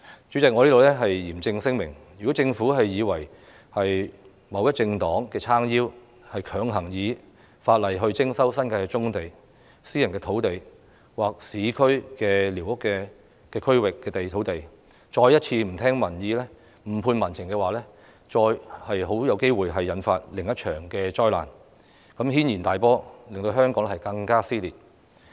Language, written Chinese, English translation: Cantonese, 主席，我在此嚴正聲明，如果政府以為有某政黨撐腰，便強行引用法例徵收新界棕地、私人土地或市區寮屋區土地，再一次不聽民意、誤判民情的話，很有機會引發另一場災難，引起軒然大波，令香港更加撕裂。, President here I state categorically that if the Government resumes brownfield sites in the New Territories private land or urban squatter areas forcefully by virtue of the law just because it is backed by certain political parties failing to listen to public opinions and misjudging public sentiments once again there is a good chance of another disastrous uproar arising to further tear Hong Kong apart